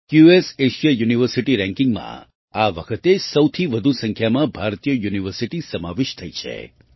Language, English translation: Gujarati, This time the highest number of Indian universities have been included in the QS Asia University Rankings